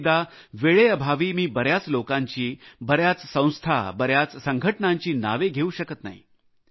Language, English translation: Marathi, Many a time, on account of paucity of time I am unable to name a lot of people, organizations and institutions